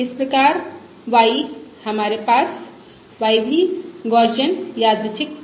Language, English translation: Hindi, Therefore y we have y is also of Gaussian Random Variable